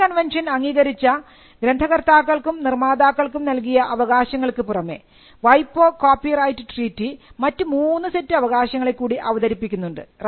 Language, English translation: Malayalam, Apart from the rights granted to authors which were recognised by the Berne convention, the WIPO copyright treaty also introduced three different sets of rights